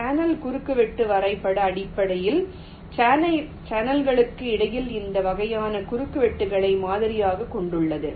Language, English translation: Tamil, the channel intersection graph basically models this kind of intersection between the channels right